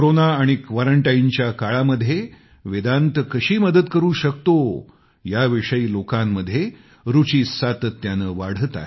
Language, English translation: Marathi, People are much keen on knowing how this could be of help to them during these times of Corona & quarantine